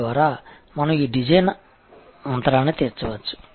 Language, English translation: Telugu, So, on and therefore, we can meet this design gap